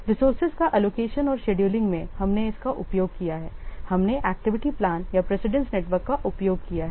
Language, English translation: Hindi, In allocating and scheduling the resources, we have used what we have used the activity plan or a precedence network